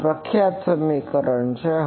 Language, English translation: Gujarati, This is the famous equation